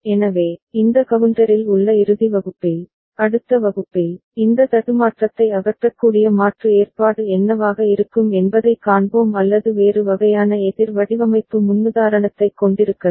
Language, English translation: Tamil, So, in the final class on this counter, the next class we shall see that what could be alternate arrangement by which we can get this glitch removed or we can have a different kind of counter design paradigm